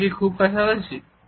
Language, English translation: Bengali, Is it is too close